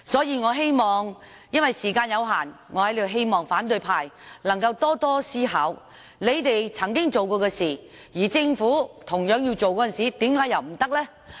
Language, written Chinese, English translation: Cantonese, 由於時間有限，我在此希望反對派能夠多多思考，他們曾經做的事，而政府同樣要做的時候，為何又不可以？, As time is limited I hope that the opposition camp will spend more time thinking why cant the Government take the action that they had taken before?